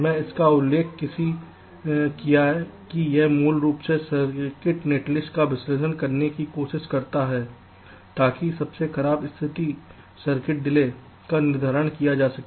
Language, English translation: Hindi, it basically tries to analyze a circuit netlist to determine worst case circuit delays